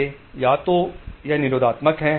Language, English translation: Hindi, They either this is inhibitory